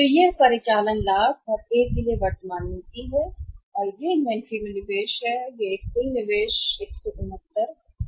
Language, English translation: Hindi, So, this is operating profit and the policy current to A and this is the investment in the inventory that is one total investment 169